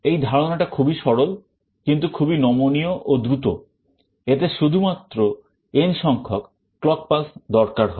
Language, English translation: Bengali, It is simple in concept, but very flexible and very fast; this requires only n number of clock pulses